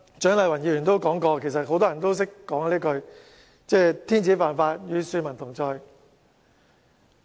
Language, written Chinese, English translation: Cantonese, 蔣麗芸議員剛才也提到，很多人都說"天子犯法，與庶民同罪"。, As mentioned by Dr CHIANG Lai - wan just now many people would say that both the emperor and the people are equal before the law